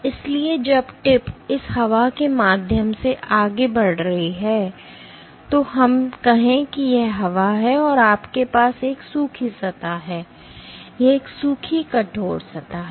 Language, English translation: Hindi, So, when the tip is moving through this air let us say this is air, and you have a dry surface, this is a dry stiff surface